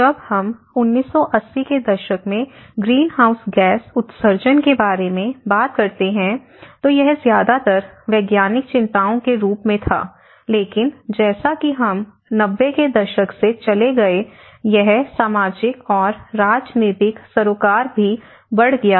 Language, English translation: Hindi, When we talk about the greenhouse gas emissions in the 1980’s, it was mostly as a scientist concerns, but as we moved on from 90’s, it has also moved towards the social; the social concern as well and the political concern